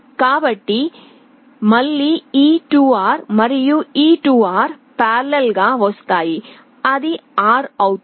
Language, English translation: Telugu, So, again this 2R and this 2R will come in parallel, that will become R